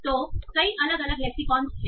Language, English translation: Hindi, So there are many different lexicon